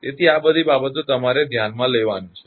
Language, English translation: Gujarati, So, these are the things you have to consider